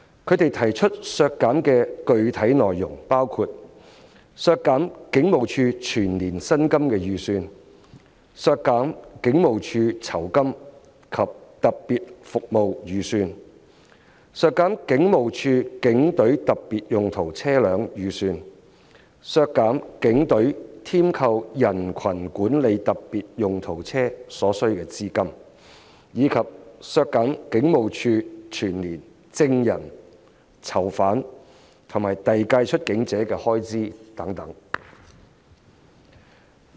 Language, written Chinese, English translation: Cantonese, 他們提出削減的具體內容包括：削減警務處全年運作的預算開支、削減警務處酬金及特別服務全年撥款、削減警務處警隊特別用途車輛預算開支、削減警隊添購人群管理特別用途車所需的資金，以及削減警務處全年證人、囚犯及遞解出境者的預算開支等。, We can say that HKPF and the Commissioner of Police are a major thorn in their flesh . Specifically their amendments seek to reduce the annual operating expenses of HKPF the annual provision for rewards and special services the expenses for police specialised vehicles the fund required by the Police for purchasing specialised crowd management vehicles and the annual expenses on witnesses prisoners and deportees